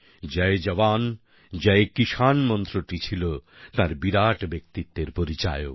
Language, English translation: Bengali, His slogan "Jai Jawan, Jai Kisan" is the hall mark of his grand personality